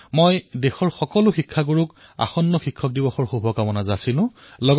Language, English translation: Assamese, I felicitate all the teachers in the country on this occasion